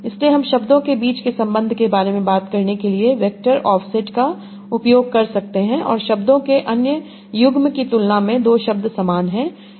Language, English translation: Hindi, that is, you can use the vector offsets to talk about relation between words and how much two words are similar compared to the other pair of words